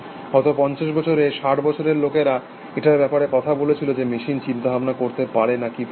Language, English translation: Bengali, In the last fifty years, sixty years people have been talking about, whether machines can think or not